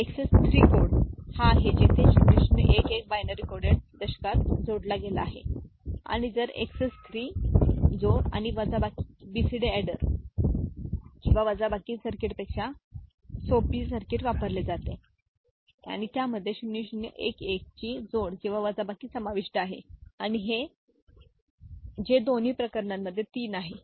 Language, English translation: Marathi, Excess 3 code is the one where 0011 is added to the binary coded decimal and if XS 3 addition and subtraction uses simpler circuit than BCD adder or subtractor the circuit and it involves addition or subtraction of 0011 that is 3 in both the cases